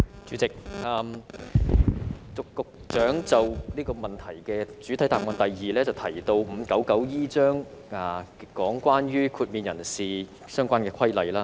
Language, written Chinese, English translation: Cantonese, 主席，局長在主體答覆的第二部分提到第 599E 章，有關豁免人士的相關規例。, President in part 2 of the main reply the Secretary mentioned Cap . 599E a regulation related to exempted persons . I have looked back at Cap